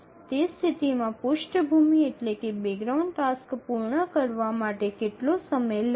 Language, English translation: Gujarati, So, in that case, how long will the background task take to complete